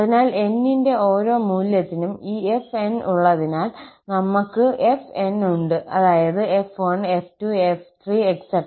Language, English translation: Malayalam, So, having this fn for each value of n, we have fn, that means f1, f2, f3 and so on